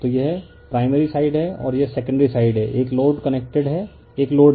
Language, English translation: Hindi, So, this is your this is your primary side and this is your secondary side, a the load is connected, a load is connected